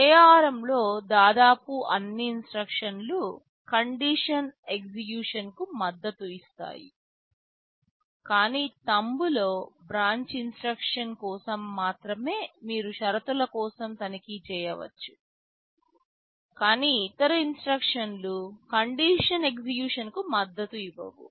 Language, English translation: Telugu, In ARM almost all the instructions support condition execution, but in Thumb only for branch instruction you can check for conditions, but other instruction do not support conditional execution